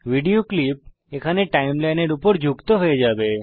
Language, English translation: Bengali, The video clips will be added to the Timeline here